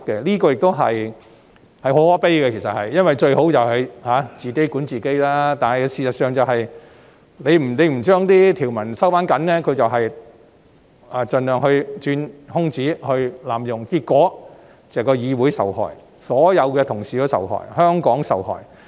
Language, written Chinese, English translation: Cantonese, 這句說話其實很可悲，因為最好是議員自己管自己，但事實上，如不收緊條文，他們便盡量鑽空子和濫用有關規則，結果是議會受害、所有同事受害、香港受害。, What I say is in fact very sad because the best way is for Members to exercise self - control . However if we do not tighten the rules they may make use of the loopholes and abuse the rules concerned as much as possible which will harm the Council all colleagues and Hong Kong